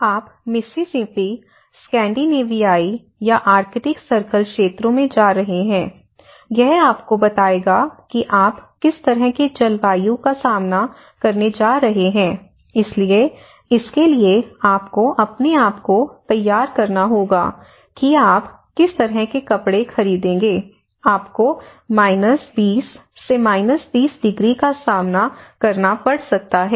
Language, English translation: Hindi, It can tell imagine, you are going to Mississippi or you are going to the Scandinavian countries or the arctic circle areas, it will tell you what kind of climate you are going to face so, you may have to prepare what kind of clothes you have to purchase, we have to buy you know for the harsh living conditions you may have to cope up with 20, 30 degrees